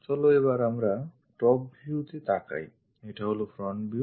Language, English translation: Bengali, Let us look at top view, this is the front view